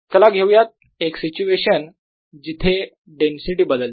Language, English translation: Marathi, let us also look at a situation where the density varies